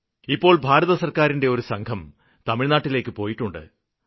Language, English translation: Malayalam, Right now, a team of the Central government officials are in Tamil Nadu